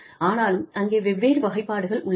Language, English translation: Tamil, but, even there, there are different classifications